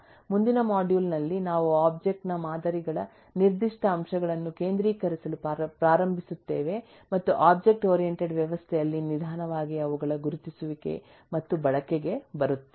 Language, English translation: Kannada, in the next module onwards we will start focussing on specific aspects of object models and slowly get into their identification and use in the object oriented system